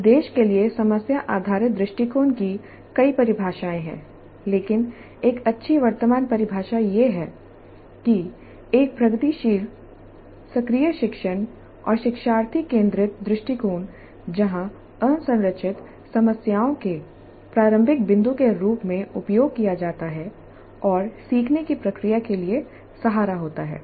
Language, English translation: Hindi, There were several definitions but one good current definition is that problem based approach to, one good current definition is that a progressive active learning and learner centered approach where unstructured problems are used as the starting point and anchor for the learning process